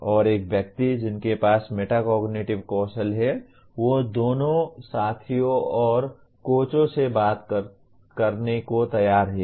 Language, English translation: Hindi, And a person with metacognitive skills he is willing to talk to the both peers and coaches